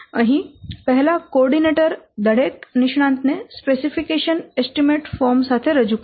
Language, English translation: Gujarati, He will present the coordinator to present each expert with a specification and an estimation form